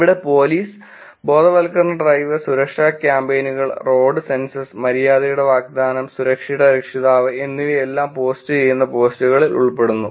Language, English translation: Malayalam, Here in terms of police, awareness drive and safety campaigns, road senses, the offering of courtesy, and the parent of safety, things the posts that police do